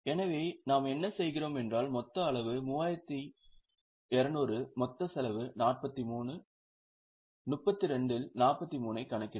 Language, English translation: Tamil, So, what we do is since total quantity is 3,200 the total cost is 43, we can calculate 43 upon 32